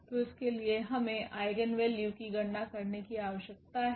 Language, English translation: Hindi, So, for that we need to compute the eigenvalues